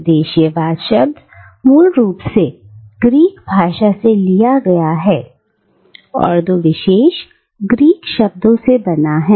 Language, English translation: Hindi, Now, the word cosmopolitanism has its root in the Greek language and it combines two specific Greek words